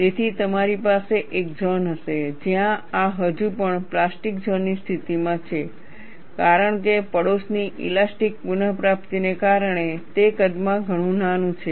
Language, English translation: Gujarati, So, you will have a zone, where this is still under plastic zone condition; much smaller in size, because of the elastic recovery of the neighborhood